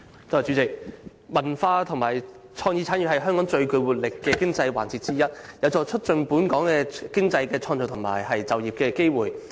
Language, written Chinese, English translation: Cantonese, 主席，文化及創意產業是香港最具活力的經濟環節之一，有助促進本港經濟增長及創造就業機會。, President the cultural and creative industry is one of the most vibrant economic segments in Hong Kong . It can help us to promote local economy and create working opportunities